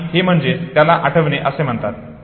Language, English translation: Marathi, This is called memory construction